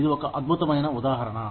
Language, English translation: Telugu, It is such a wonderful example